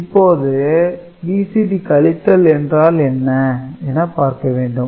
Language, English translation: Tamil, Now, we will look into BCD addition and subtraction